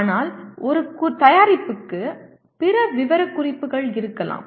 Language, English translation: Tamil, But a product may have other specifications